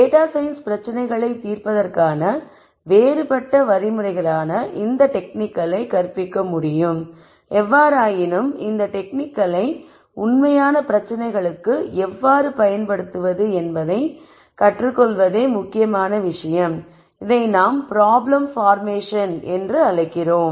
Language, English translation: Tamil, One could teach these techniques as disparate set of methods to solve data science problems; however, the critical thing is in learning how to use these techniques for real problems which is what we call as problem formulation